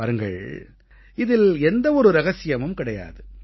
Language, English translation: Tamil, Now, there is no secret in this